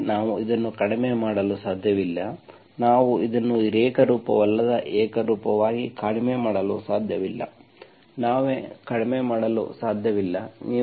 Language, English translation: Kannada, That means we cannot reduce this, we cannot reduce this in non homogeneous into homogeneous, we cannot reduce